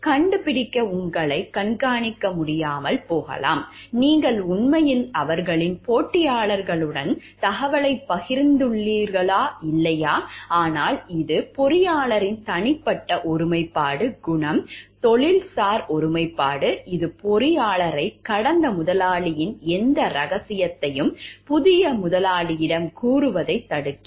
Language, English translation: Tamil, May not be able to monitor you to find; like whether you have actually shared the information with their competitors or not, but it is a personal integrity, the character, the professional integrity of the engineer which restricts the engineer from telling any secret of the past employer to the new employer